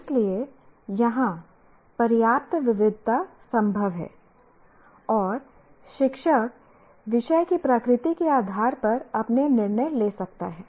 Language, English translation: Hindi, So there is enough variation possible here and the teacher can make his or her decisions based on the nature of the subject